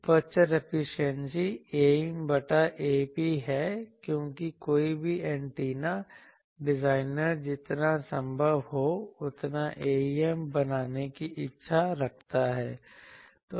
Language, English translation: Hindi, Aperture efficiency is A em by A p because any antenna designers wishes I want to make A em as large as possible